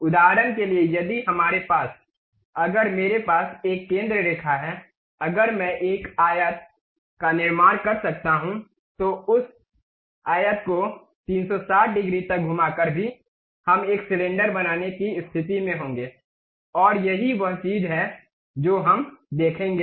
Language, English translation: Hindi, For example, if we have, if I have a centre line, if I can construct a rectangle, rotating that rectangle by 360 degrees also, we will be in a position to construct a cylinder and that is the thing what we will see